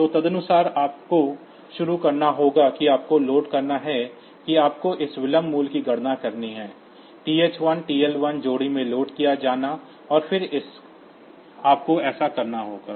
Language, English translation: Hindi, So, accordingly you have to start that you have to load that you have to calculate this delay value, to be loaded into TH 1 TL 1 pair and then you have to do that